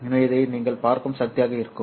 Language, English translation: Tamil, So this would be the power that you are looking at